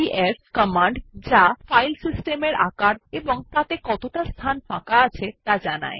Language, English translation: Bengali, df command to check the file system size and its availability